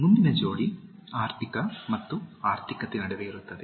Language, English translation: Kannada, The next pair is between, economic and economical